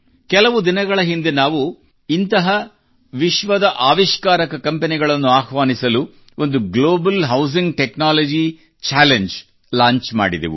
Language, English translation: Kannada, Some time ago we had launched a Global Housing Technology Challenge to invite such innovative companies from all over the world